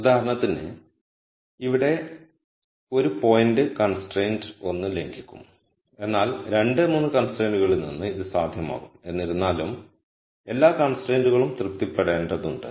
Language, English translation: Malayalam, For example, a point here would violate constraint 1, but it would be feasible from constraint 2 and 3 viewpoint nonetheless all the constraints have to be satisfied